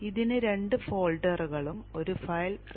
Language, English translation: Malayalam, This has two folders and one file, a readme